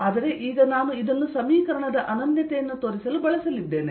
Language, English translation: Kannada, but now i am going to use this to show the uniqueness